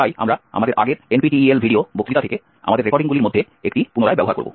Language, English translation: Bengali, So we will be reusing one of our recordings from our previous NPTEL video lectures